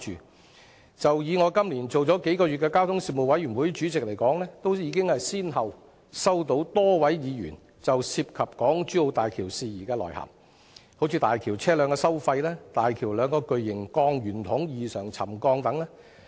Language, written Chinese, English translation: Cantonese, 我在這個會期擔任交通事務委員會主席只有數個月，便已先後收到多位議員就港珠澳大橋事宜來函，包括大橋的車輛通行收費、大橋兩個巨型鋼圓筒異常沉降等。, Having served as the Chairman of the Panel on Transport in this term for only several months I have received letters from a number of Members on issues about HZMB including the toll levels of HZMB the settlement of two large circular steel cells at unusually quick pace etc